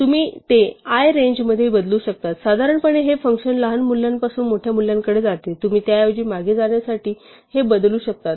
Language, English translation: Marathi, Well, you can modify that for i in range, so notice that normally this function goes from a smaller value to a bigger value, you can modify this to go backwards instead